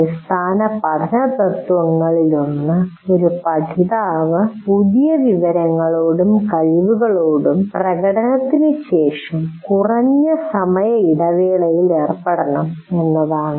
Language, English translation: Malayalam, Now one of the learning, very important learning principle is a learner should engage with the new information and skills with minimum time gap after demonstration